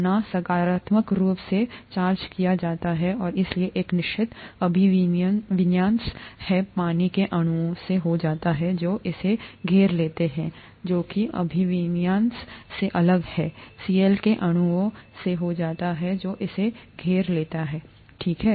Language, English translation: Hindi, Na is positively charged and therefore a certain orientation happens to the molecules of water that surround it which is different from the orientation that happens to the molecules of Cl that surrounds it, okay